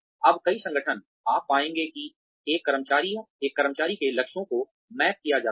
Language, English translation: Hindi, Now, many organizations, you will find that, the goals of every single employee are mapped